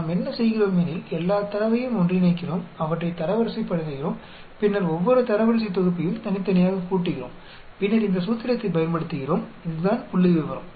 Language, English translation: Tamil, What we do is, we combine all the data, we rank them and then add up each one of the set of ranks separately and then we use this formula this is the statistic